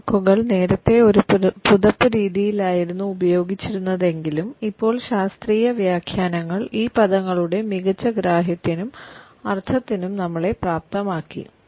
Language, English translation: Malayalam, Even though these words were used earlier in a blanket manner, but now the scientific interpretations have enabled us for a better understanding and connotations of these terms